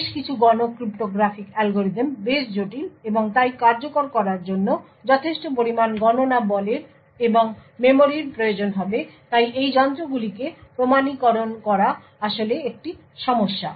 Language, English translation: Bengali, Several of especially the Public cryptographic algorithms quite complex and therefore would require considerable amount of compute power and memory in order to execute therefore authenticating these devices is actually a problem